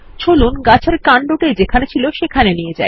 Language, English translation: Bengali, Lets move the tree trunk back to where it was